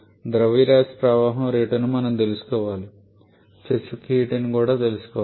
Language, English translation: Telugu, We need to know the mass flow rate we need to know the specific heat also